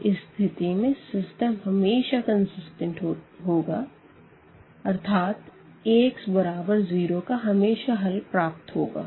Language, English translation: Hindi, So, in that case the system is always consistent meaning this Ax is equal to 0 will have always a solution